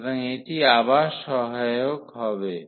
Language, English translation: Bengali, So, this will be again helpful